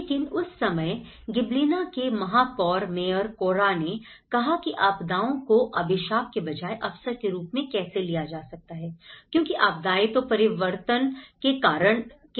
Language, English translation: Hindi, But then at that time, the mayor of that particular Gibellina, mayor Corra he talked about, he thought about how disasters could be taken as an opportunity rather the curse because disasters are the agents of change